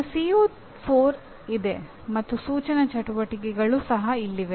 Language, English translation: Kannada, I have my CO4 and instructional activities are also in this here